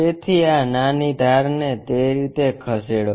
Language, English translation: Gujarati, So, move this small edge in that way